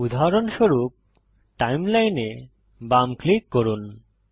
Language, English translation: Bengali, For example, Left click Timeline